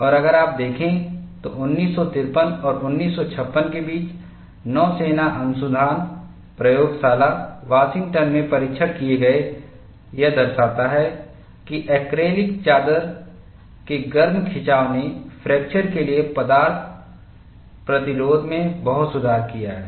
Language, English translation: Hindi, And it is desirable that, we look at early attempts; and if you look at, between 1953 and 1956, the tests conducted at Naval Research Laboratory, Washington demonstrated that, hot stretching of acrylic sheet has greatly improved the materials resistance to fracture